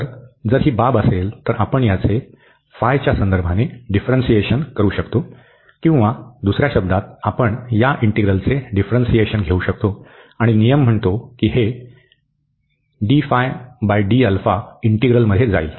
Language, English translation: Marathi, So, if this is the case, we can differentiate this phi with respect to alpha or in other words we can take the differentiation of this integral, and the rule says that this d over d alpha will go into the integral